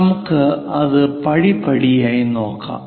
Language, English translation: Malayalam, Let us do that step by step